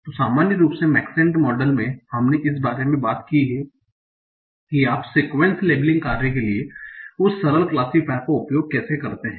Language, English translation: Hindi, So in general in Maxine model, we talked about how do we use that simple classifier for a sequence labeling task